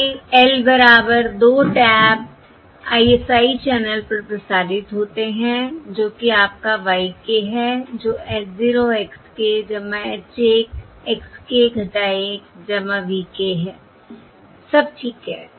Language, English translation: Hindi, all right, These are transmitted over the L equal to 2 tap ISI channel, which is your y k equals h, 0, x k plus h, 1, x k minus 1 plus V k